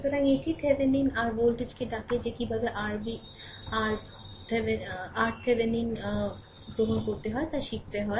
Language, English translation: Bengali, So, that is your what you call the Thevenin your voltage that that you have to learn how to obtain and R Thevenin